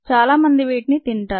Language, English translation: Telugu, many people consume that